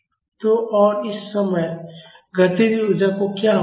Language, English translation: Hindi, So, and that time what is happening to the kinetic energy